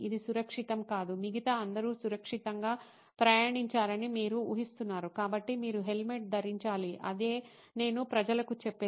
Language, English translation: Telugu, This it is not safe, you are assuming that everybody else rides safely, so you should wear a helmet is what I used to tell people